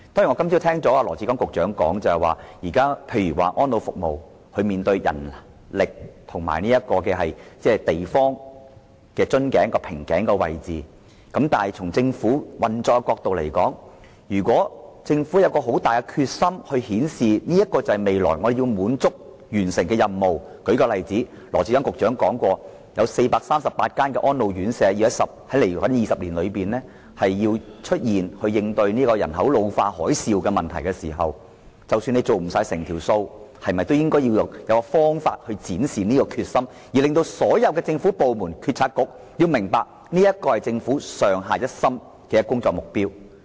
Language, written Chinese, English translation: Cantonese, 我今天早上聽到羅致光局長說，安老服務現時面對人力及土地出現瓶頸的問題，但從政府運作的角度來看，如果政府有極大決心顯示未來要完成這些任務——例如，羅局長曾經說過會於未來20年內增建438間安老院舍，以應對人口老化這個"海嘯"問題——即使未能做到，政府是否應設法展示決心，使所有政府部門和政策局明白這是政府上下一心的工作目標呢？, This morning I heard Secretary Dr LAW Chi - kwong say that elderly services are now facing a bottleneck in manpower and land . From the angle of government operation however if the Government is strongly determined to demonstrate its willingness to accomplish all these missions in the future―for instance Secretary Dr LAW said that an additional 438 residential care homes for the elderly would be built in the next two decades to cope with the problem of an ageing population which is compared to a tsunami―even if these missions cannot be accomplished for the time being should the Government seek to demonstrate its determination to all government departments and Policy Bureaux that all government staff should stand united in achieving this target?